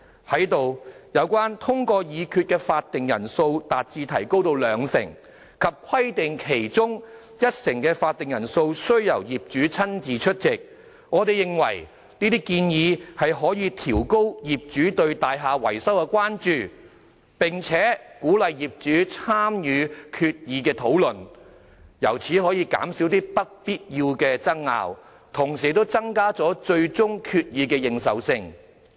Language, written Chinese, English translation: Cantonese, 就當中一項建議，即"將通過決議的法定人數提高至兩成，及規定其中一成的法定人數須由業主親自出席"，我們認為可以提高業主對大廈維修的關注，並可鼓勵業主參與決議討論，從而減少一些不必要的爭拗，並增加最終決議的認受性。, As for one of the proposals on raising the quorum of meeting for passing resolutions to 20 % and specifying that at least 10 % of property owners have to attend the meeting in person we think it will raise owners concern about building maintenance and encourage owners to participate in the discussion on resolutions thus minimizing disputes and increasing the credibility of the final decision